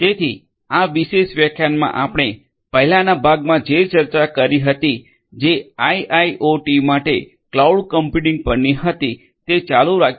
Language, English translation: Gujarati, So, in this particular lecture we are going to continue from what we discussed in the previous part on Cloud Computing for IIoT